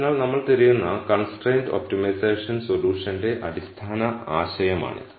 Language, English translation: Malayalam, So, this is a basic idea of constrained optimization solution that we are looking for